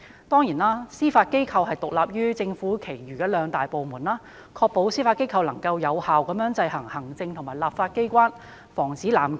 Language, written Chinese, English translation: Cantonese, 當然，司法機構獨立於政府其餘兩大機關，以確保司法機構能夠有效制衡行政及立法機關，防止濫權。, Certainly the Judiciary is independent of the other two branches of government so as to ensure that the Judiciary can effectively exercise checks and balances on the executive and legislature to prevent abuse of power